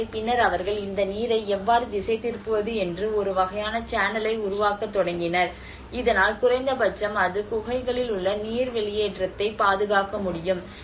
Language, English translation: Tamil, So, then they started making a kind of channel you know how to divert this water so that at least it can protect the water seepage in the caves